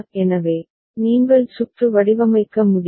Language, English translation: Tamil, So, this is the way you can design the circuit